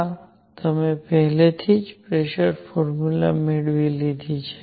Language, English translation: Gujarati, This, you already derived the formula for pressure